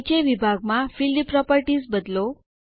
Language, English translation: Gujarati, Change the Field Properties in the bottom section